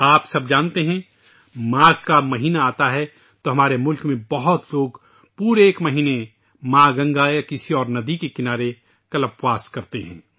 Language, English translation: Urdu, All of you are aware with the advent of the month of Magh, in our country, a lot of people perform Kalpvaas on the banks of mother Ganga or other rivers for an entire month